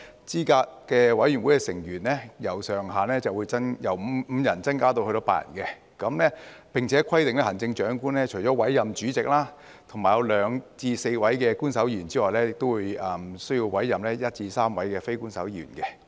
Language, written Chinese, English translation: Cantonese, 資審會的成員上限會由5人增至8人，並且規定行政長官除了委任主席及2至4名官守成員外，亦須委任1至3名非官守成員。, The upper limit of members in CERC will increase from five to eight and it is also stipulated that the Chief Executive shall in addition to the chairperson and two to four official members appoint one to three non - official members